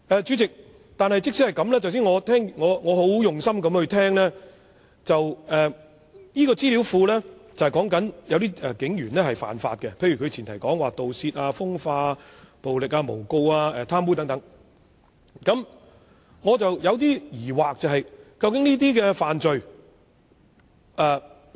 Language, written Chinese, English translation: Cantonese, 主席，我剛才很用心聆聽鄭議員的解釋，資料庫存有警員干犯刑事罪行的資料，包括盜竊、風化、暴力、誣告及貪污等，但我還是有些疑惑。, President I have been listening very carefully to Dr CHENGs explanation just now . The information database will include information on criminal offences committed by police officers including theft sex crimes violence false allegations and corruption but I still have some doubts